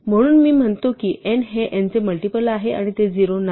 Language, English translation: Marathi, So, this says n is a multiple of n and n is not 0